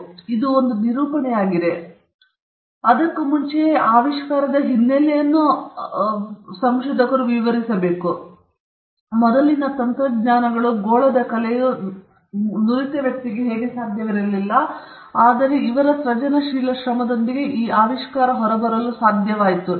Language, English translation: Kannada, So it is a narrative, he explains his invention, and he also before that, he explains the background of the invention what were the technologies before him and how it was not possible for a person skilled in the art, which is his sphere, to come up with this invention, but he with his inventive effort was able come up with it